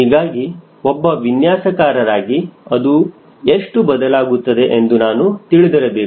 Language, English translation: Kannada, so as a designer i need to know how much it will change and keep